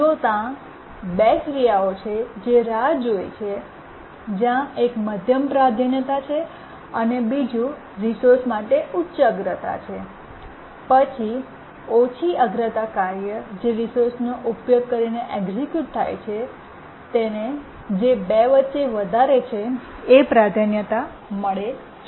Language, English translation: Gujarati, If there are two tasks which are waiting, one is medium priority, one is high priority for the resource, then the lowest, the low priority task that is executing using the resource gets the priority of the highest of these two, so which is it